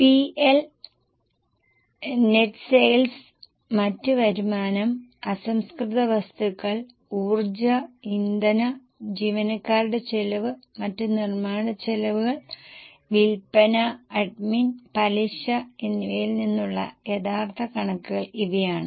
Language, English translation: Malayalam, So, these are the actual figures from P&L, net sales, other income, raw material, power fuel, employee cost, other manufacturing expenses, selling, admin, interest